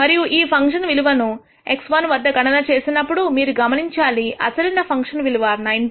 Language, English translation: Telugu, And when you compute the function value at x 1 you notice that the original function value was 19